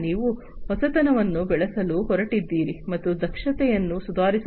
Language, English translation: Kannada, You are going to foster innovation, and improve upon the efficiency